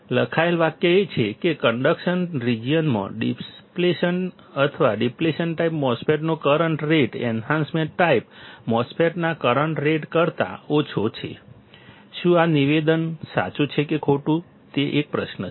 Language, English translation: Gujarati, The sentence written is that, in the conduction region, the current rate of an depletion or of a depletion type MOSFET is slower than the current rate in enhancement type MOSFET, is this statement true or false that is a question